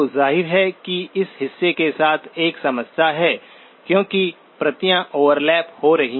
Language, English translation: Hindi, So obviously there is a problem with this portion because the copies are overlapping